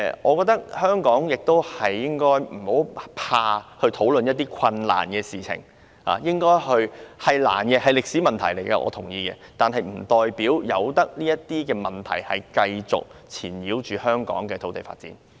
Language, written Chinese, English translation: Cantonese, 我覺得香港不應該害怕討論這些困難的事情，我同意這是一個歷史遺留下來的困難問題，但不代表應該讓這些問題繼續纏繞香港的土地發展。, In my view Hong Kong should not be afraid of discussing these thorny subjects . I agree that this is a difficult question left over from history but it does not mean that we should let these questions continue to bedevil the land development of Hong Kong